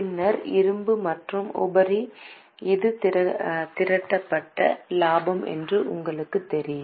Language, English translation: Tamil, Then reserves and surplus, you know this is accumulated profit